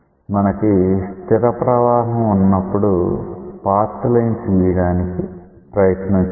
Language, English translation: Telugu, So, when you have a steady flow then let us try to draw these path lines